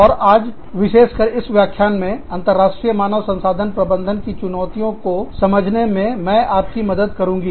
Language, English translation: Hindi, And today, specifically in this lecture, i will be helping you understand, the Challenges to International Human Resource Management